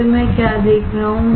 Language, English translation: Hindi, Then, what I see